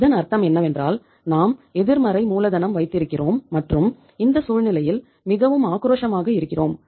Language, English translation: Tamil, So it means we have the negative working capital and we are more aggressive in this case